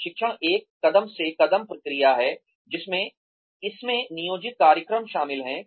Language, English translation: Hindi, Training is a, step by step process, in which, it consists of planned programs